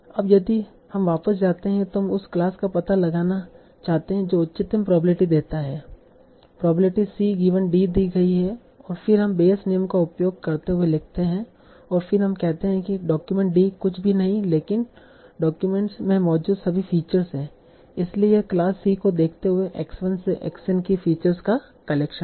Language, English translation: Hindi, So now if we go back, so we want to the the find out the class that gives the highest probability probability is seen and then we write using base rule in this form and then we said document D is nothing but all the features that are there in the document so this is collection of the features X 1 to X in given the class C then how do you compute probability X 1 to XN given the glass c